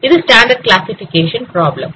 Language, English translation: Tamil, It is a standard classification problem